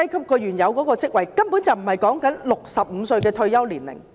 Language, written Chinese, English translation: Cantonese, 根本不是以65歲作為退休年齡。, In fact 65 years is not the retirement age